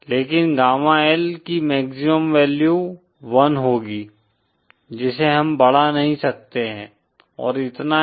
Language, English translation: Hindi, But gamma L will have a maximum value of 1, one which we cannot increase it and uhh, that’s all basically